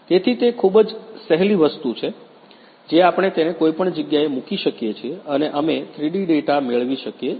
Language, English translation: Gujarati, So, it is a very handy thing we can go place it anywhere and we can get the 3D data